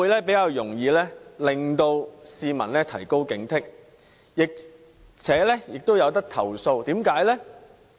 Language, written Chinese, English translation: Cantonese, 這些都可令市民提高警惕，而且市民也可以作出投訴。, All such information can enhance the vigilance of the public and besides there is also a way for the public to lodge complaints